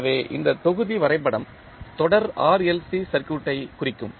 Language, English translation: Tamil, So, this block diagram will represent the series RLC circuit